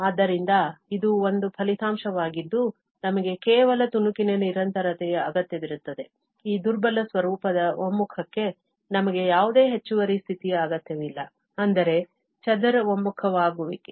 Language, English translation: Kannada, So, that is one result that we need only piecewise continuity, we do not need any extra condition for this weaker form of the convergence, which is mean square convergence